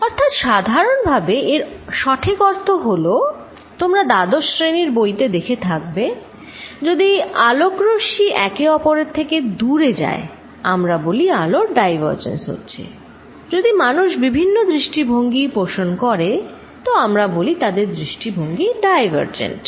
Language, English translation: Bengali, So, what basically it means is particularly, because you may have seen it in your 12th grade book, if light rays are going away from each other, we say light rays are diverging, if people have differing views we will say they have divergent views